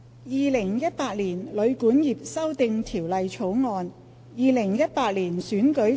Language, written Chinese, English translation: Cantonese, 《2018年旅館業條例草案》《2018年選舉法例條例草案》。, Hotel and Guesthouse Accommodation Amendment Bill 2018 Electoral Legislation Bill 2018